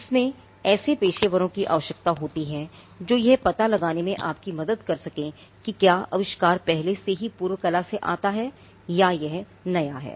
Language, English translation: Hindi, It requires professionals who can help you in searching whether the invention is already fallen into the prior art or whether it is novel